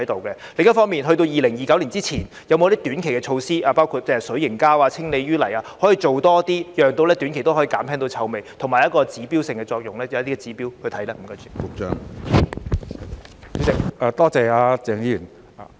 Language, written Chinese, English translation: Cantonese, 另一方面，在2029年之前有否短期措施，包括使用氣味控制水凝膠和清理污泥，多做一些工作，令短期內也可以減輕臭味，以及有指標性的作用，可以按一些指標作出檢視呢？, Meanwhile before 2029 will there be any short - term measures including the use of odour - control hydrogel and desludging so that in the short term more work can be done to reduce odour and something can serve as an indicator according to which a review can be conducted?